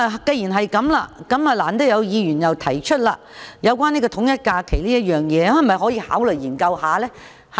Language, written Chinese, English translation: Cantonese, 既然如此，難得有議員提出有關統一假期的議案，大家可否考慮研究一下？, Since Members have proposed a motion to align the holidays we might as well take this opportunity to consider the proposal